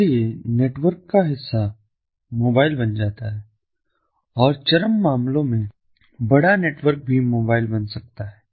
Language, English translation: Hindi, so part of the network becomes mobile and in extreme cases, even larger network can also become mobile